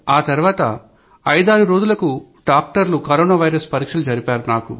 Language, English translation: Telugu, After 4 or 5 days, doctors conducted a test for Corona virus